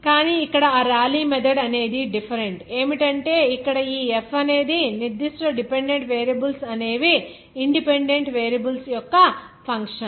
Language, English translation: Telugu, But here the different from that Rayleigh method is that here this f certain dependent variables will be a function of independent variables